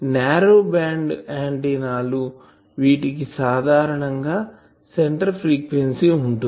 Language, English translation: Telugu, Narrow band antennas: for them generally there is a centre frequency